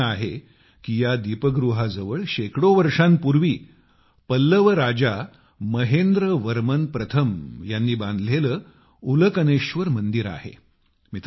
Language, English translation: Marathi, He says that beside this light house there is the 'Ulkaneshwar' temple built hundreds of years ago by Pallava king MahendraVerman First